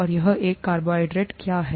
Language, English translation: Hindi, And what is a carbohydrate